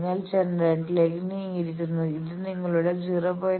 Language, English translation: Malayalam, You have move towards generator let us say this is your 0